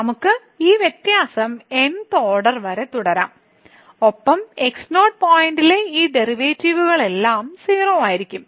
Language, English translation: Malayalam, So, we can continue this differentiation here up to the th order and all these derivatives at point will be 0